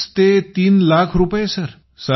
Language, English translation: Marathi, 5 lakh rupees, three lakh rupees